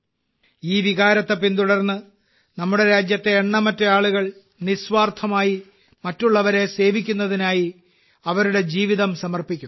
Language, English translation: Malayalam, Following this sentiment, countless people in our country dedicate their lives to serving others selflessly